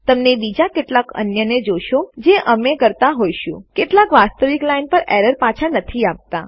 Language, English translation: Gujarati, Youll see some of the other ones we will be doing, some dont return the actual line error